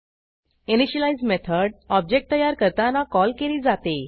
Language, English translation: Marathi, An initialize method is called at the time of object creation